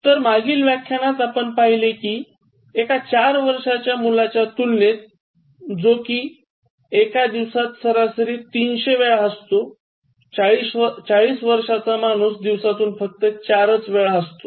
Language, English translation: Marathi, So, in the previous lesson we learnt that compared to a four year old child that laughs for about 300 times average on a day, a 40 year old man laughs only four times a day